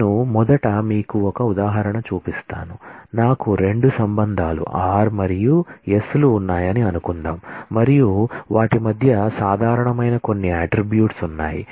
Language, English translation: Telugu, Let me first show you an example of that, suppose I have 2 relations r and s and what is important is there are some attributes which are common between them